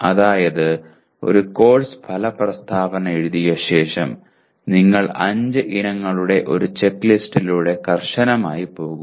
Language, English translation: Malayalam, That is having written a course outcome statement you just religiously go through this checklist of 5 items